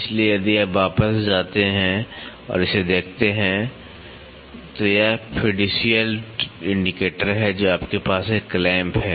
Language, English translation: Hindi, So, if you go back and look at this, this is the fiducial indicator you have a clamp